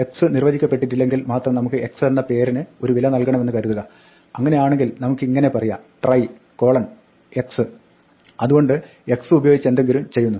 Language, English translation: Malayalam, Supposing, we want to assign a vale to a name x only if x is undefined, then we can say try x so this is trying to do something with the x